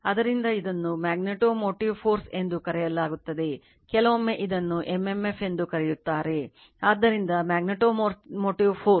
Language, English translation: Kannada, So, this is known as magnetomotive force, sometimes we call it is m m f right, so magnetomotive force